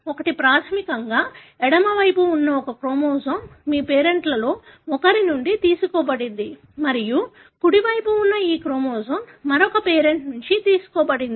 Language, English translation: Telugu, So, basically this chromosome that is on the left side is derived from one of your parent and this chromosome on the right side is derived from the other parent